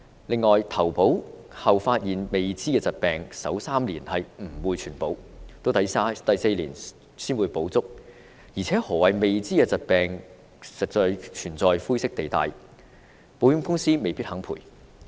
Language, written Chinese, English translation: Cantonese, 此外，在投保後才發現的未知疾病，首3年不獲全保，直至第四年才會全保，而何謂"未知疾病"亦存在灰色地帶，保險公司未必肯作賠償。, As for unknown pre - existing conditions only partial coverage will be provided in the first three years upon policy inception and full coverage will only be available in the fourth year . In addition given the grey areas in the definition of unknown conditions insurance companies may eventually deny claims